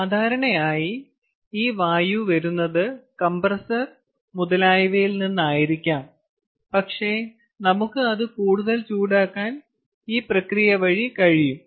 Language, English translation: Malayalam, this air is coming from somewhere, probably from a compressor, etcetera, but we can use it to heat it up